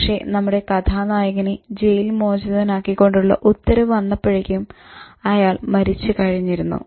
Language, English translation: Malayalam, But by the time the order for his release comes, this hero of the story is already dead